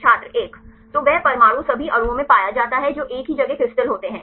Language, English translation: Hindi, 1 So, that atom is found in all the molecules the same place the crystal